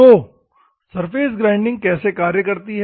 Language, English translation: Hindi, So, how the surface grinding works